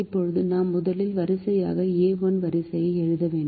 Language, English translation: Tamil, now we have to write the a, one row, the first row